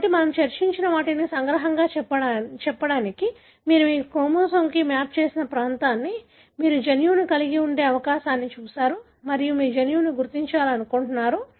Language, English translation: Telugu, So to just to summarize what we have discussed, you have looked at a region that you have mapped on to your chromosome likely to have a gene and you want to identify the gene